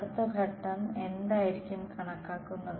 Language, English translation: Malayalam, Next step would be to calculate